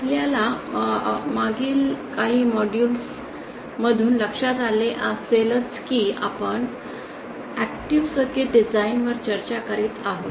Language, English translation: Marathi, As you must be must have noted for the past few modules we have been discussing about active circuit design